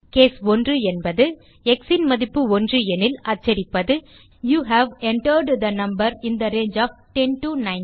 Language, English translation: Tamil, case 1 means if the value of x is 1 We print you have entered a number in the range of 10 19